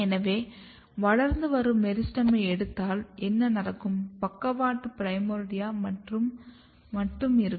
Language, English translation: Tamil, So, what happens that if you take this is a growing meristem and then you have a lateral primordia